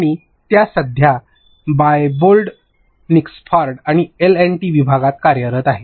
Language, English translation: Marathi, And she is currently working in the Diebold Nixdorf and in the L and D division